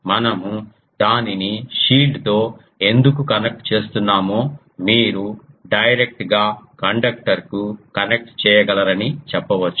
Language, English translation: Telugu, You can say that why we are connecting it to the shield we can directly connect to the conductor